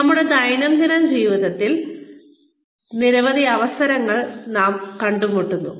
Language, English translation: Malayalam, We come across, so many opportunities in our daily lives